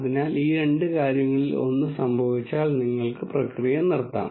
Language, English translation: Malayalam, So, one of these two things happen then you can stop the process